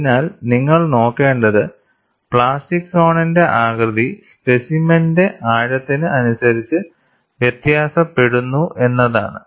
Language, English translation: Malayalam, So, what you will have to look at is the plastic zone shape differs over the depth of the specimen; so that is what is summarized